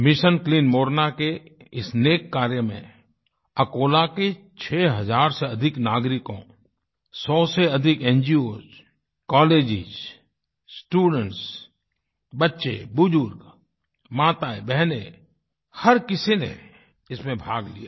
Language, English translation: Hindi, This noble and grand task named Mission Clean Morna involved more than six thousand denizens of Akola, more than 100 NGOs, Colleges, Students, children, the elderly, mothers, sisters, almost everybody participated in this task